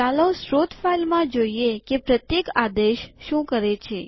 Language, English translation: Gujarati, Let us go through the source file and see what each command does